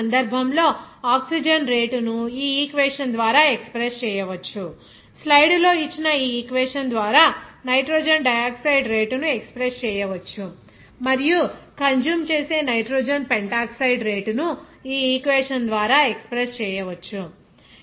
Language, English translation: Telugu, Here in this case rate of oxygen can be expressed by this equation, rate of nitrogen dioxide can be expressed by this equation given in the slide, and rate of nitrogen pentoxide that is consumed can be expressed by this equation